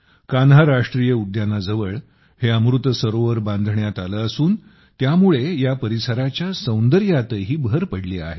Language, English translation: Marathi, This Amrit Sarovar is built near the Kanha National Park and has further enhanced the beauty of this area